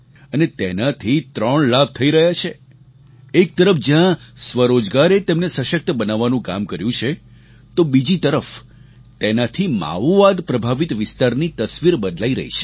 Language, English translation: Gujarati, This has three benefits on the one hand selfemployment has empowered them; on the other, the Maoist infested region is witnessing a transformation